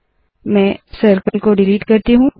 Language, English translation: Hindi, Let me delete the circle now